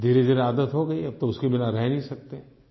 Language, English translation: Hindi, Slowly we cultivated a habit and now we can't do without those